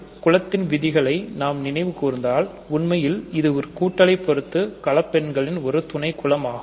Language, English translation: Tamil, So, if you remember your group theory, what I am really saying is that in fact, it is a subgroup of the complex numbers with addition